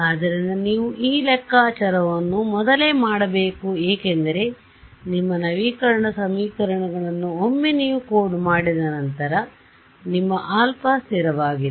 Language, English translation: Kannada, So, you have to do this calculation beforehand because once you coded up your update equations your alpha is fixed